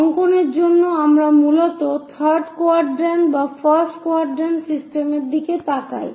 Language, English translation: Bengali, For drawing, we mainly look at either third quadrant or first quadrant systems